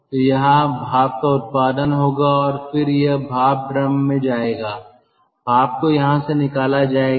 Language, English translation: Hindi, so here the steam generation will take place and then it will go to the steam drum